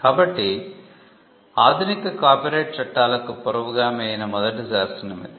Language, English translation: Telugu, So, this was the first statute passed in England which was the precursor of modern copyright laws